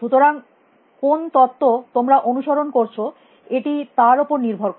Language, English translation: Bengali, So, depending on what theory you are following